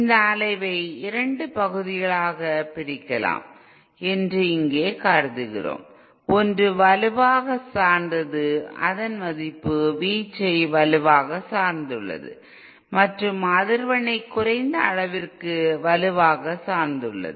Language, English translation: Tamil, Here we are assuming that this oscillator can be divided into two parts; one which is strongly dependent, whose value is strongly dependent on amplitude and to a lesser extent on frequency